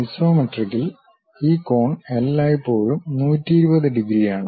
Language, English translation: Malayalam, And note that in the isometric, this angle always be 120 degrees